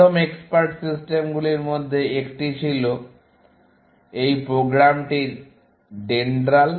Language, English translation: Bengali, One of the first expert systems was this program called DENDRAL